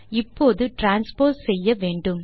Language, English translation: Tamil, Now we need the transpose